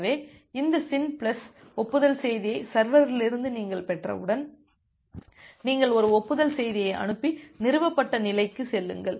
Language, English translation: Tamil, So, once you have received these SYN plus acknowledgment message from the server, then you send an acknowledgement message and move to the established state